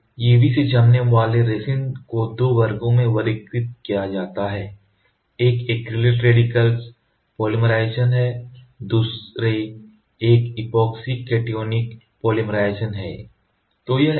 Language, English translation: Hindi, So, UV curing resins they are classified into two, one is acrylate radical polymerization, the other one is epoxy cationic polymerization ok